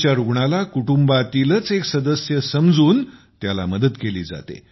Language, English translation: Marathi, patients are being helped by making them family members